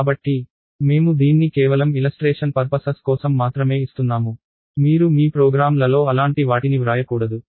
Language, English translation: Telugu, So, I am giving it only for illustration purposes, you should not be writing such things in your programs